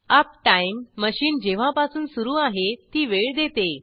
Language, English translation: Marathi, uptime gives the time since machine was on